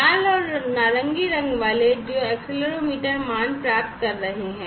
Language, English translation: Hindi, The red and the orange colored ones are the ones, which are getting the accelerometer values, right